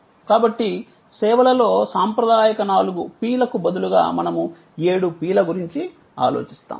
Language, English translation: Telugu, So, we just pointed out that instead of the traditional four P’s in services, we think of seven P’s